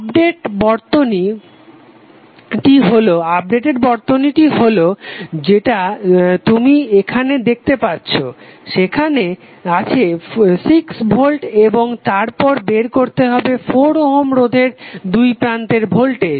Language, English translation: Bengali, So the updated circuit which you will see here would be like this where you will have 6 volt and then need to find out the value of voltage across 4 Ohm resistance